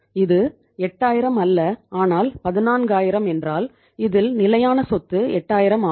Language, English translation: Tamil, It is not 8000 but 14000 means this is the fixed asset is 8000